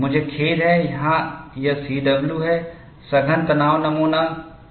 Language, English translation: Hindi, I am sorry, here it is C W is compact tension specimen, subjected to wedge loading